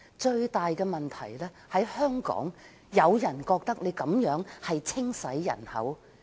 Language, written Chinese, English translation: Cantonese, 最大問題在於，香港有人覺得單程證制度實屬"清洗人口"。, The biggest problem is that in the eyes of some Hong Kong people the system amounts to population cleansing